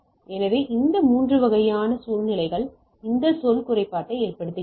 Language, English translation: Tamil, So, this type of 3 type of situations which causes this term impairment